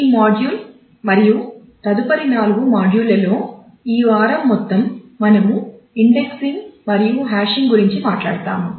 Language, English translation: Telugu, In this module and the next 4; that is for the whole of this week we will talk about indexing and hashing